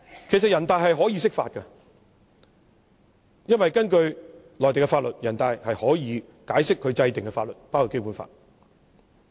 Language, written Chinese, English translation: Cantonese, 全國人大可以釋法，因為根據內地的法律，全國人大可以解釋其制定的法律，包括《基本法》。, NPC can interpret a law because according to the Mainland laws NPC can interpret the laws made by it including the Basic Law